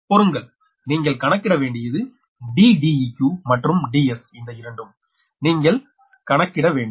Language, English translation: Tamil, you have to calculate d e q and d s, right, these two you have to calculate